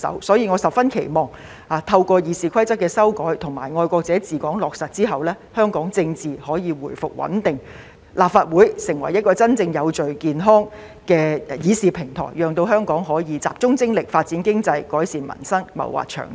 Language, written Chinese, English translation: Cantonese, 所以，我十分期望透過《議事規則》的修改及"愛國者治港"原則落實後，香港政治可以回復穩定，立法會能成為一個真正有序、健康的議事平台，讓香港可以集中精力，發展經濟，改善民生，謀劃長遠。, Hence I really hope that through the amendment to RoP and the implementation of the patriots administering Hong Kong principle political stability can be restored in Hong Kong while the Legislative Council can really become an orderly and healthy platform for discussions such that Hong Kong can focus its efforts on economic development on improving peoples livelihood and on long - term planning